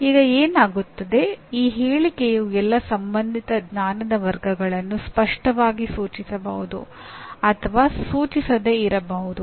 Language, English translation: Kannada, Now what happens this statement may or may not explicitly indicate all the concerned knowledge categories